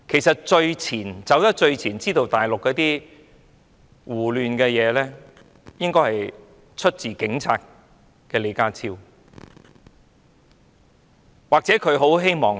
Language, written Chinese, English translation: Cantonese, 在最前線了解大陸的胡亂情況的人，應該是警察出身的李家超局長。, Secretary John LEE who served the Police Force before should be the one standing at the forefront to observe the chaotic situation in the Mainland